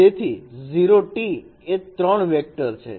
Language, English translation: Gujarati, So 0 transpose it is 3 vectors